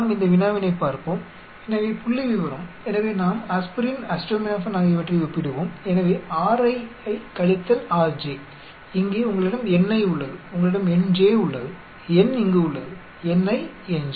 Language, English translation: Tamil, Let us look into this problem, so the statistics so let us compare aspirin, acetaminophen so Ri minus Rj here you have ni you have nj then N here ni nj